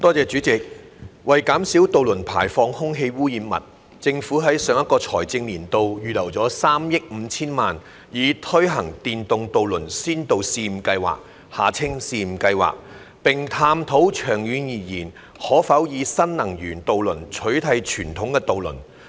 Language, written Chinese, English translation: Cantonese, 主席，為減少渡輪排放空氣污染物，政府於上一個財政年度預留了3億 5,000 萬元，以推行電動渡輪先導試驗計劃，並探討長遠而言可否以新能源渡輪取替傳統渡輪。, President to reduce air pollutant emissions from ferries the Government earmarked 350 million in the last financial year for implementing a pilot scheme on electric ferries and exploring the feasibility of replacing traditional ferries with new energy ones in the long run